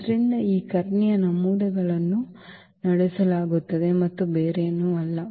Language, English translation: Kannada, So, these diagonal entries will be powered and nothing else